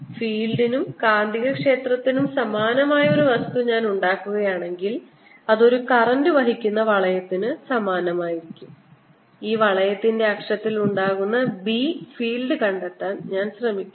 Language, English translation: Malayalam, so if i would make a similar thing for field and magnetic field, it will be similar to a current carrying ring and i'm trying to find the b field on the axis of this ring